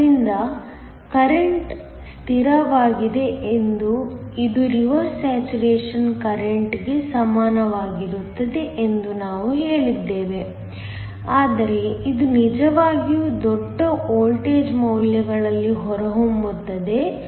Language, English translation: Kannada, So, we said that the current is a constant which is equal to the reverse saturation current, but it turns out at really large voltage values